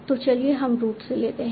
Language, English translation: Hindi, So let's take from root